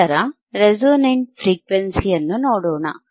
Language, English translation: Kannada, What is the resonant frequency